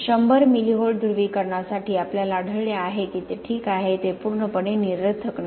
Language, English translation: Marathi, For a 100 milli Volt polarization we have found that it is Ok, it is not totally meaningless